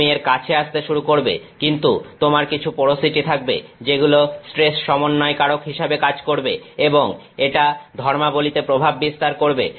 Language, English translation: Bengali, You will start approaching it, but you may have some porosity which will act as a stress concentrator and it will affect properties